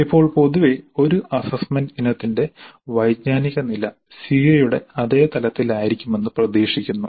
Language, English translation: Malayalam, Now in general the cognitive level of the cognitive level of an assessment item is expected to be at the same level as that of the CO